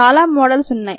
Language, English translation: Telugu, there are many models